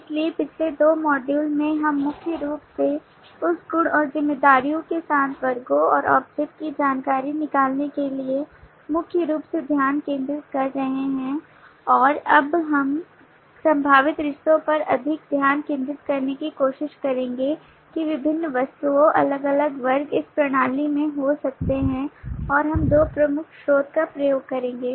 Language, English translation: Hindi, so in the last two modules we have been focussing primarily to extract the information of the classes and object along with that attributes and responsibilities and now we will try to focus more on the possible relationships that different object, different classes may have in this system and we will use two major source